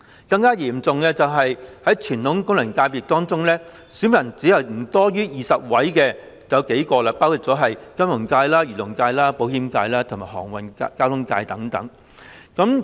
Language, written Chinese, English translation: Cantonese, 更嚴重的是，在傳統功能界別中，有數個只有不多於20名選民，包括金融界、漁農界、保險界和航運交通界等。, More serious still among traditional FCs some only have no more than 20 electors including Finance Agriculture and Fisheries Insurance and Transport